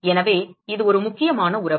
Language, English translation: Tamil, So, that is an important relationship